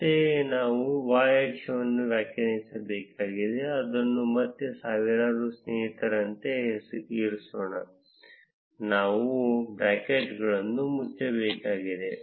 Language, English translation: Kannada, Similarly, we need to define the y axis, let us keep it as friends again in thousands; we need to close the brackets